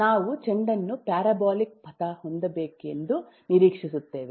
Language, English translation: Kannada, we will expect the ball to have a parabolic path